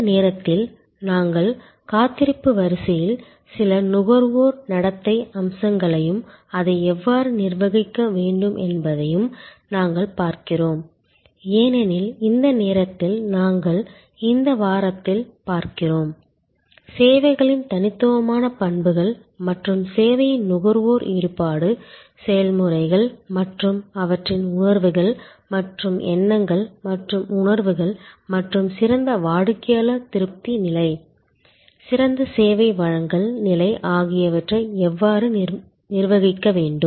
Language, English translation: Tamil, At this moment, we are basically looking at some consumer behavioral aspects in waiting line and how that needs to be manage, because right at this moment we are looking at in this week, the unique characteristics of services and the service consumers engagement to the service processes and their feeling and thoughts and perceptions and how those need to be manage for a better customer satisfaction level, better service delivery level